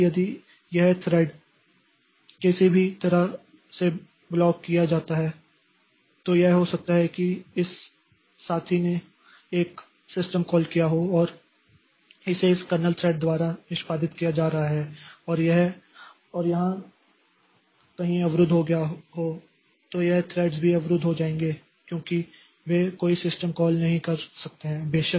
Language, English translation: Hindi, So, if this thread is blocked somehow, maybe this fellow has made a system call and it was getting executed by this, this kernel thread and it got blocked somewhere here, then these threads will also get blocked because they cannot make any system call